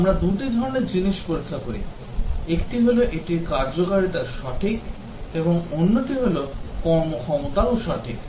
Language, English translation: Bengali, We test two types of things; one is whether it is the functionalities are correct and also the performance is correct